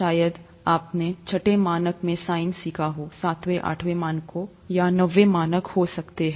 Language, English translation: Hindi, This probably sine is learnt in your sixth, seventh, may be seventh, eighth standards, or may be ninth standard